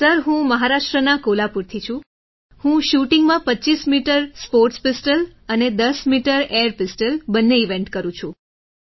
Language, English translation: Gujarati, Sir I am from Kolhapur proper, Maharashtra, I do both 25 metres sports pistol and 10 metres air pistol events in shooting